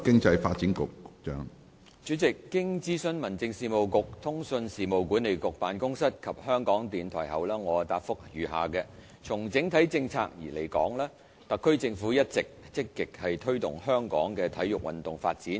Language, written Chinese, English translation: Cantonese, 主席，經諮詢民政事務局、通訊事務管理局辦公室及香港電台後，我答覆如下：從整體政策而言，特區政府一直積極推動香港的體育運動發展。, President after consulting the Home Affairs Bureau the Office of the Communications Authority and Radio Television Hong Kong RTHK I reply as follows In respect of overall policy the Government of the Hong Kong Special Administrative Region has all along been actively promoting the development of sports in Hong Kong